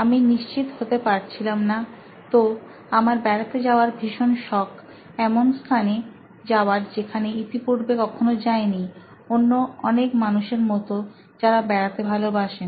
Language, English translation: Bengali, So, I was not quite sure, so, I have this passion for travel, always go on places where I have not been before, like many other people would love travelling